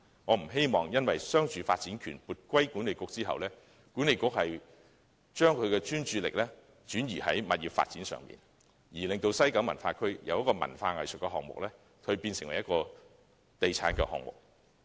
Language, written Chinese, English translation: Cantonese, 我不希望商住發展權撥歸西九管理局後，西九管理局會將其專注力轉移至物業發展上，令西九文化區由文化藝術項目變為地產項目。, I do not hope that after being granted the commercialresidential development rights WKCDA will divert its attention to property development thereby turning WKCD from an arts and cultural project into a property development project